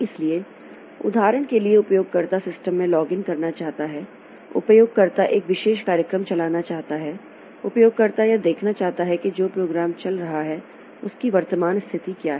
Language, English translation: Hindi, So, for example, user wants to log into the system, user wants to run a particular program, user wants to see what is the current status of a program that is running